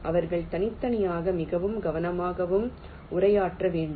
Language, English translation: Tamil, they need to be addressed separately and very carefully